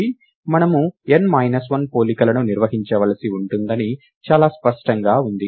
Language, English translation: Telugu, Its very clear that we will have to perform n minus 1 comparisons